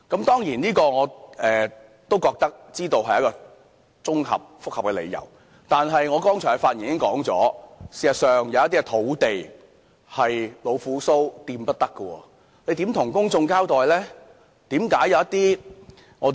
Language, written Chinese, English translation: Cantonese, 當然，我知道這是一個複雜的問題，但正如我剛才發言時提到，事實上有一些土地是老虎鬚碰不得的，當局如何向公眾交代呢？, I of course know that this is a complication question . As I mentioned earlier on there are actually some land sites which can certainly not be touched . But how are the authorities going to account to the public?